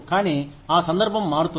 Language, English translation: Telugu, But, that occasionality changes